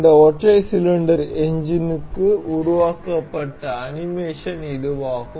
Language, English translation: Tamil, This is the animation generated for this single cylinder engine